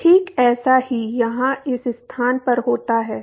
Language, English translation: Hindi, So, that is exactly what happens in this location here